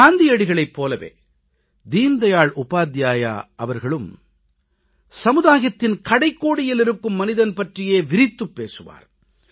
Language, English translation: Tamil, Like Gandhiji, Deen Dayal Upadhyayji also talked about the last person at the farthest fringes